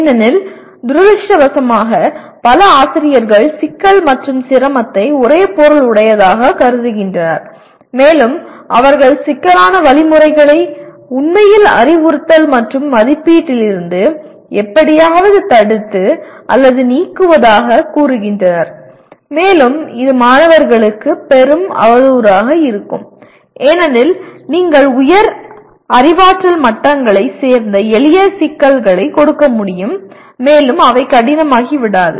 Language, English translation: Tamil, Because unfortunately many teachers consider complexity is synonymous with difficulty and they say they somehow prevent or eliminate complex activities from actually instruction and assessment and that would be doing a great disservice to the students because you can give simpler problems belonging to higher cognitive levels and they will not become difficult but students should experience these complex activities